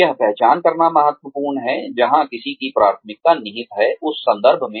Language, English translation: Hindi, It is important to identify, where one's preference lies, in terms of